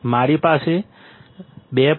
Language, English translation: Gujarati, I had 2